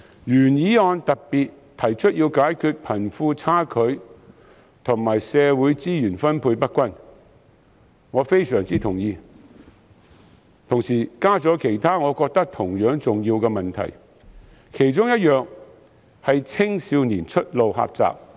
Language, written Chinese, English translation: Cantonese, 原議案特別提出要解決貧富差距和社會資源分配不均等問題，我對此非常同意，並同時加入其他我認為同樣重要的問題，青少年出路狹窄是其中之一。, The Government is specifically urged in the original motion to eradicate such problems as the disparity between the rich and the poor and uneven distribution of social resources . I fully agree with this point and have included in my amendment some other issues which I consider equally important such as the limited prospects for young people